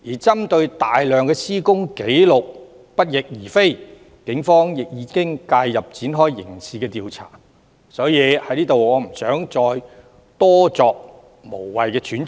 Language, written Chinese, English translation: Cantonese, 針對大量施工紀錄不翼而飛，警方亦已介入展開刑事調查，所以我不想在此多作無謂揣測。, Pinpointing the large number of missing construction records the Police have also stepped in and commenced a criminal investigation . For this reason I do not wish to make any unnecessary wild guesses here